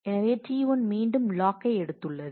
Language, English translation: Tamil, So, T 1 has again taken the log